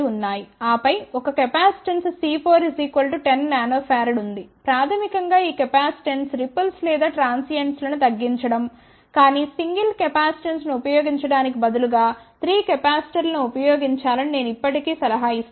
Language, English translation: Telugu, And then there is a capacitance C 4 which is equal to ten nano farad basically this capacitance is to reduce the ripples or the transients, but I would still advice that instead of using single capacitance one should use about 3 capacitors